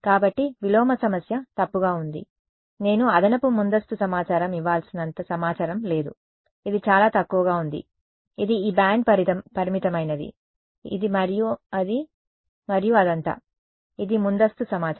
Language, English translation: Telugu, So, the inverse problem is ill posed there is not enough information that I have to give additional a priori information, it is sparse, it is this band limited, it is this and that and all of that, that is a priori information